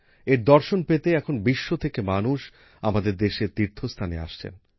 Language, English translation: Bengali, Now, for 'darshan', people from all over the world are coming to our pilgrimage sites